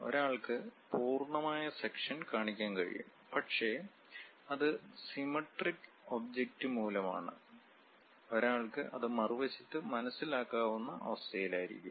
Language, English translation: Malayalam, One can have complete section show that; but it is because of symmetric object, the same thing one will be in a position to sense it on the other side